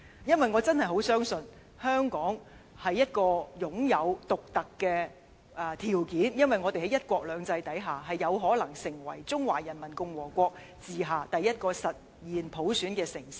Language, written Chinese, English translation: Cantonese, 因為我真的十分相信，香港擁有獨特條件，我們在"一國兩制"之下，有可能成為中華人民共和國治下第一個實現普選的中國城市。, It is because I truly believe that under one country two systems Hong Kong possesses the uniqueness needed to possibly become the first Chinese city achieving universal suffrage under the rules of the Peoples Republic of China